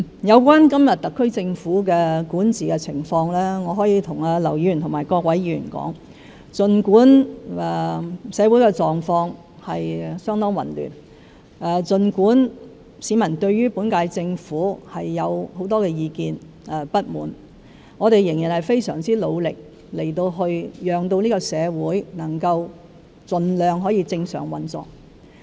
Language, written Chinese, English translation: Cantonese, 有關今天特區政府的管治情況，我可以向劉議員及各位議員說，儘管社會狀況相當混亂，儘管市民對本屆政府有很多意見和不滿，我們仍然非常努力，希望盡量令社會可以正常運作。, Regarding the current governance of the SAR Government I can tell Mr LAU and other Members that despite the very chaotic state in our society and despite the grudges and grievances held by the public against the current - term Government we are still making great efforts to enable the society to operate normally